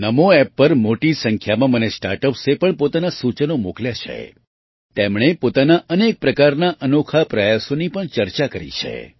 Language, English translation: Gujarati, A large number of Startups have also sent me their suggestions on NaMo App; they have discussed many of their unique efforts